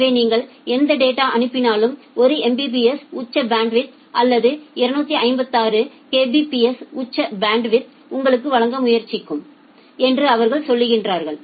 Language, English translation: Tamil, So, they are saying that whatever data you will send for that data we will try to give you 1 Mbps of peak bandwidth or 256 Kbps of peak bandwidth